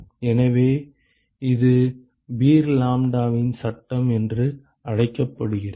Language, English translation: Tamil, So, this is what is called as Beer Lambert’s law